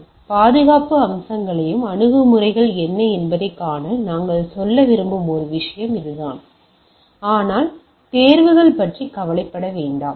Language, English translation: Tamil, So, that is more of a thing what we like to say that to see the security aspects and what are the approaches things, but do not bother about the exams